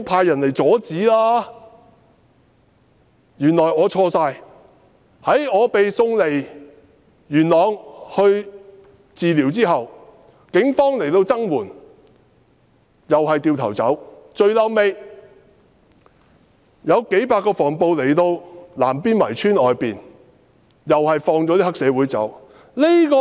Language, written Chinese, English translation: Cantonese, 原來是我錯了，我被送離元朗接受治療後，警方曾來增援，但隨即轉身離開，最後有幾百名防暴警察來到南邊圍村外面，卻將黑社會分子放走。, It turned out that I was wrong . After I left Yuen Long to receive medical treatment the Police had sent some police officers to help but they left in no time . In the end a few hundred riot police officers arrived outside the village of Nam Bin Wai only to let the triad members off